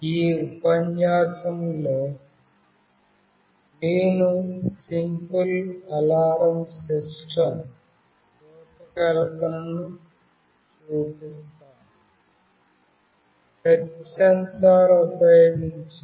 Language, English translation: Telugu, In this lecture, I will be showing the design of a Simple Alarm System using Touch Sensor